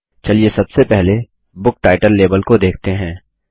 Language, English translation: Hindi, Let us first consider the Book Title label